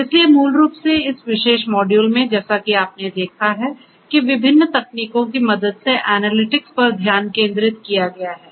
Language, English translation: Hindi, So, basically this is this particular module as you have noticed focuses on analytics right analytics with the help of different different technologies and so on